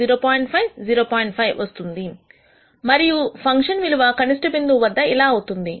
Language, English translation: Telugu, 5 and the function value at this optimum point turns out to be this